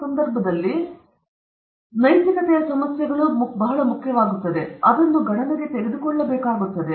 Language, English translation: Kannada, So, in that case there are very important issues ethical issues that have to be taken into account